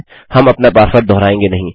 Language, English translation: Hindi, We will not repeat our password